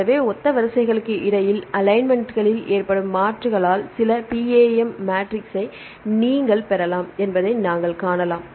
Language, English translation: Tamil, So, you can see you can derive some PAM matrix right by the substitutions that occur in the alignments between similar sequences